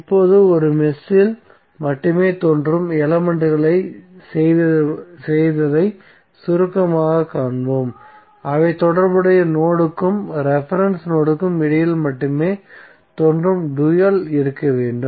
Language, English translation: Tamil, So now let us summaries what we have done the elements that appear only in one mesh must have dual that appear between the corresponding node and reference node only